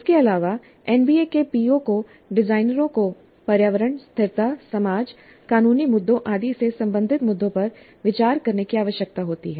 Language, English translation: Hindi, Further, POs of NBA require designers to consider issues related to environment, sustainability, society, legal issues, and so on